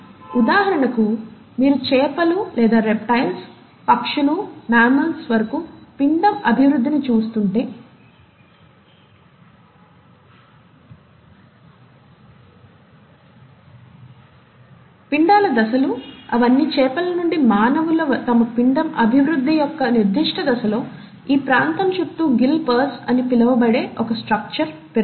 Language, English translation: Telugu, For example, if you were to look at the embryonic development of fishes or reptiles, birds, all the way up to mammals, we find that the embryonic stages, all of them, right from fishes till humans express at a certain stage in their embryonic development, a structure called as the gill pouch, which is around this area